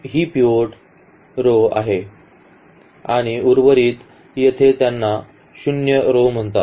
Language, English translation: Marathi, These are the pivotal row pivot rows and the rest here these are called the zero rows